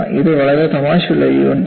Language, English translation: Malayalam, It is a very very funny unit